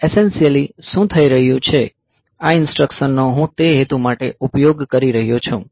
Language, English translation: Gujarati, So, essentially what is happening is that, these instructions I am using for that purpose